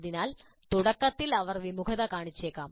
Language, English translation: Malayalam, So initially they may be reluctant